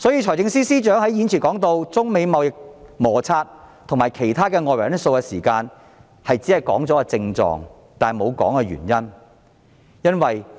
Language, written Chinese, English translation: Cantonese, 財政司司長在預算案中提到中美貿易摩擦和其他外圍因素時，只是提出症狀，沒有說明原因。, When the Financial Secretary discussed the China - United States trade conflicts and other external factors in the Budget he only mentioned the symptoms but not the reasons